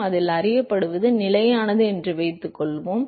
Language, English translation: Tamil, So, let us assume that it is known at it is constant